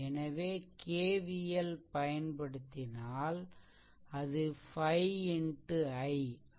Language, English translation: Tamil, So, if you apply KVL, then it will be 5 into i this i